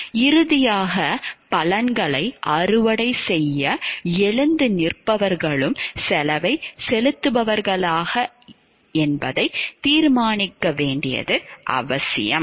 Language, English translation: Tamil, Finally, it is also important to determine whether those who stand up to reap the benefits are also those will pay the cost